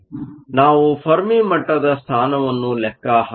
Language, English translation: Kannada, We can go ahead and calculate the position of the fermi level